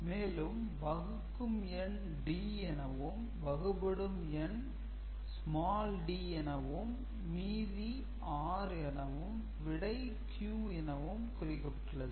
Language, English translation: Tamil, And if dividend is represented by capital D divisor by small d quotient by q and remainder by r then this is what you get ok